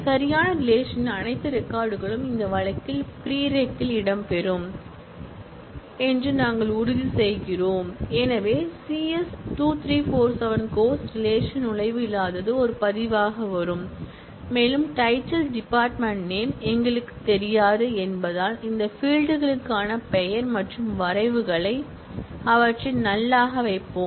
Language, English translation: Tamil, Now, we ensure that all records of the right relation, in this case the prereq relation will feature and therefore, C S 2347 for which there is no entry in the course relation will also come as a record and since we do not know the title department name and credits for these fields, we will put them as null and this again is a natural one